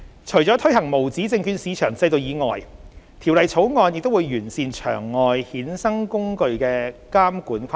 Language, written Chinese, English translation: Cantonese, 除了推行無紙證券市場制度以外，《條例草案》亦會完善場外衍生工具的監管框架。, Apart from the implementation of the USM regime the Bill also refines the regulatory framework of the OTC derivative market